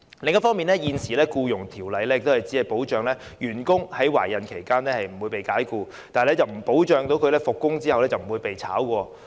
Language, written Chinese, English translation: Cantonese, 另一方面，現時《僱傭條例》只保障員工在懷孕期間不會被解僱，但不保障復工後不被解僱。, On the other hand the existing Employment Ordinance only protects employees against dismissal during pregnancy but does not guarantee that their employment will not be terminated upon resumption of work